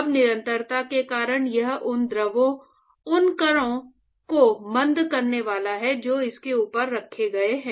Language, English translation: Hindi, So, now, because of continuity it is going to retard the fluid particles which has actually placed above it